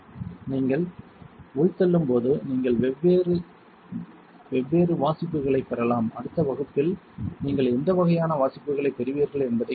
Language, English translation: Tamil, And when you indent you can get the different different readings we will see this particular what kind of readings you get in the next class